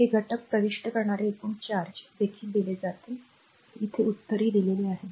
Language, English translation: Marathi, This is also given the total charge entering the element this is also answers given